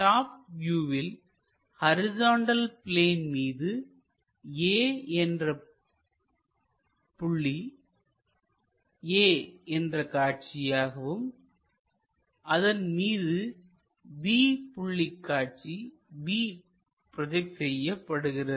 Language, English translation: Tamil, Similarly, A projected onto horizontal plane a, B point projected on to horizontal plane to b